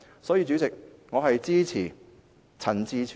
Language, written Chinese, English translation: Cantonese, 所以，主席，我支持陳志全議員的議案。, Therefore President I support Mr CHAN Chi - chuens motion